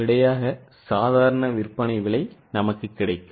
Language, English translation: Tamil, 2 will be the normal selling price